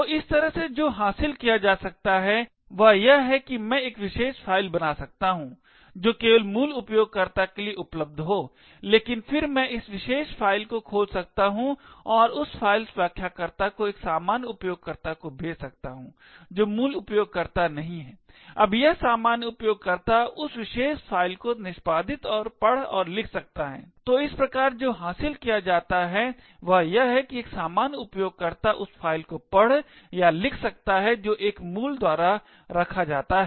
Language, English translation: Hindi, So in this way what can be achieved is that I could create a particular file which is accessible only by root users but then I could open this particular file and send that file descriptor to a normal user who is not a root, now this normal user can then execute and read and write to this particular file, so thus what is achieved is that a normal user can read or write to a file which is owed by a root